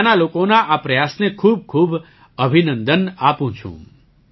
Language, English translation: Gujarati, I congratulate the people there for this endeavour